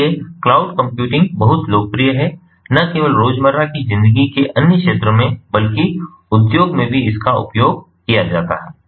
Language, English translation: Hindi, so cloud computing is very popularly used not only in others spheres of everyday life, but also in the industry